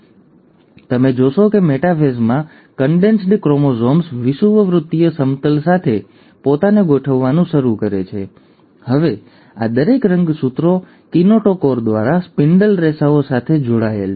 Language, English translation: Gujarati, So, you find that in metaphase, the condensed chromosomes start arranging themselves along the equatorial plane, and now each of these chromosomes are connected to the spindle fibres through the kinetochore